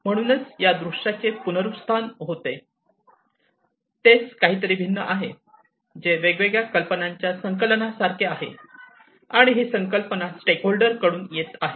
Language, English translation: Marathi, So, just as a recap this viewpoint is something, which is like a collection of different ideas and this collection of ideas are coming from the stakeholders